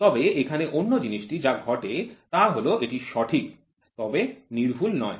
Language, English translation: Bengali, But here what happens is the other thing is it is accurate, but not precision